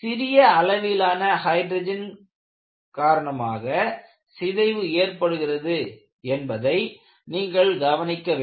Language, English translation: Tamil, And what you will have to notice is, very small amounts of hydrogen can cause hydrogen embrittlement